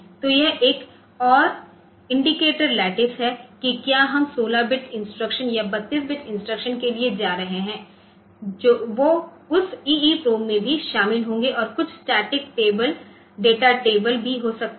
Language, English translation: Hindi, So, this is another indicator lattice whether we are going for 16 bit instruction or 32 bit instructions that will be also contained in that EEPROM and also we have to tear we have there may be some static data table